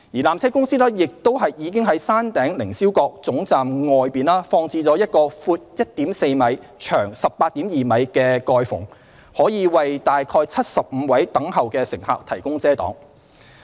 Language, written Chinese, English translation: Cantonese, 纜車公司亦已在山頂凌霄閣總站外放置了一個闊 1.4 米、長 18.2 米的蓋篷，可為約75位等候的乘客提供遮擋。, PTC has also erected a 1.4 m wide and 18.2 m long canopy outside the Upper Terminus to provide shelter for about 75 waiting passengers